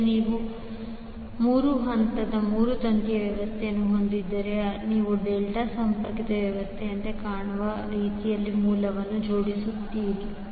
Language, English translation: Kannada, Now, if you have 3 phase 3 wire system, you will arrange the sources in such a way that It is looking like a delta connected arrangement